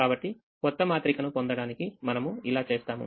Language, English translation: Telugu, so we do that to get the new matrix